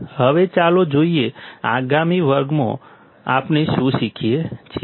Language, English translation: Gujarati, Now let us see, what we can learn in the next class